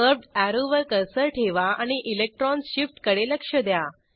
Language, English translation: Marathi, Place the cursor on the curved arrow and observe the electron shift